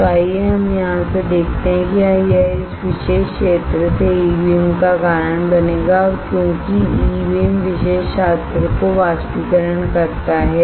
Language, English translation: Hindi, So, let us let us see from here it will cause E beam from this particular area and it will oh sorry because E beam evaporation the particular area